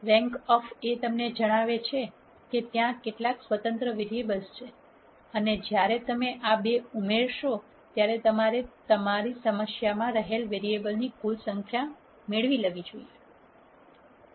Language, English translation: Gujarati, The rank of A tells you how many independent variables are there and when you add these two you should get the total number of variables that is there in your problem